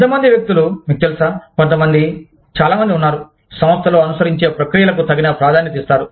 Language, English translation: Telugu, How many people, you know, some people are very, give due consideration to the processes, that are followed in the organization